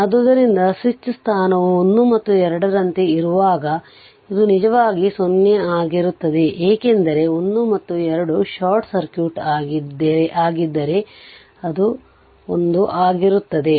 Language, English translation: Kannada, So, this when the switch position is like this so1 and 2 this is actually your what you call that it is 0 right because 1 and 2 is short circuit if 1 if it is if it is 1 and 2 make like this